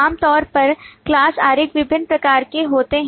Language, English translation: Hindi, Typically, class diagrams are of different kinds